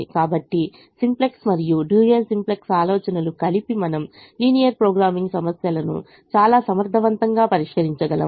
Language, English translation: Telugu, so a simplex and dual simplex ideas put together we can solve linear programming problems extremely effectively